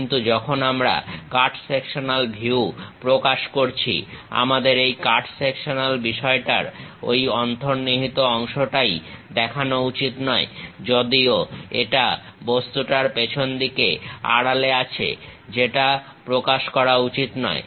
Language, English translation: Bengali, But, when we are representing cut sectional view, we should not show that hidden part on this cut sectional thing; though it is a back side of that object as hidden, but that should not be represented